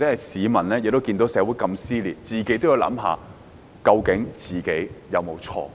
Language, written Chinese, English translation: Cantonese, 市民看到社會這麼撕裂時，也應自行思考，究竟自己有沒有錯。, When members of the public witness the social dissension they should also ponder if they have erred